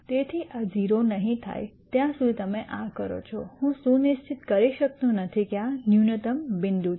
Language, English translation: Gujarati, So, whatever you do unless this goes to 0, I cannot ensure that this is a minimum point